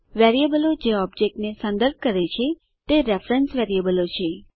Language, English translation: Gujarati, Variables that refer to objects are reference variables